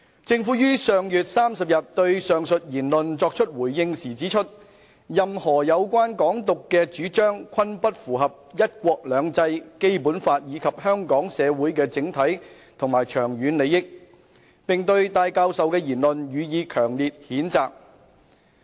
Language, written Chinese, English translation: Cantonese, 政府於上月30日對上述言論作出回應時指出，任何有關"港獨"的主張，均不符合"一國兩制"、《基本法》以及香港社會的整體和長遠利益，並對戴教授的言論予以強烈譴責。, On the 30 of last month in response to the aforesaid remarks the Government pointed out that any advocacy of Hong Kong independence ran against One Country Two Systems and the Basic Law as well as the overall and long - term interest of the society of Hong Kong and strongly condemned the remarks of Professor TAI